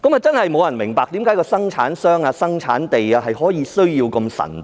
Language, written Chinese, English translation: Cantonese, 真的沒有人明白為何生產商、生產地等資料需要這麼神秘。, Nobody understands why the information on the manufacturer and the place of manufacturing has to be so mysterious